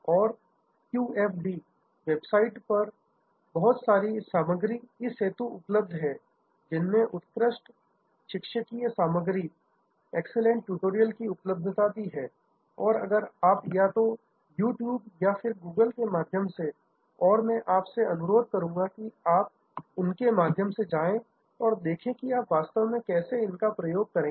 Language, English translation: Hindi, And QFD, the lots of material are available on the web, excellent tutorials are available and the web, either at You Tube or through Google and I will request you to go through them and see, how you will actually apply